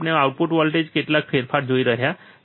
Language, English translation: Gujarati, We are looking at some change in the output voltage